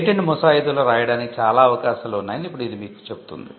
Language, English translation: Telugu, Now this tells you that there is quite a lot of possibility in patent drafting